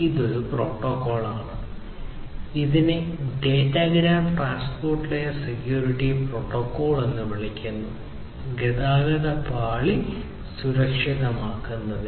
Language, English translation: Malayalam, So, this there is a protocol which is called the Datagram Transport Layer Security Protocol; for securing the transport layer